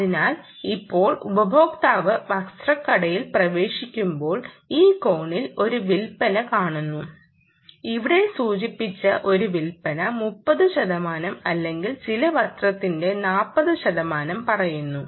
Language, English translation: Malayalam, so now the user enters the garment shop and out in this corner there is a, let us say, a sale indicator, a sale indicated here which is, lets say, thirty percent or forty percent of some garment